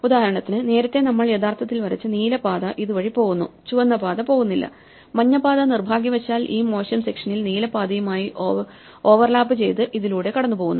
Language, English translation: Malayalam, For instance, in the earlier thing the blue path that we had drawn actually goes through this, the red path does not, where the yellow path overlapped with the blue path unfortunately in this bad section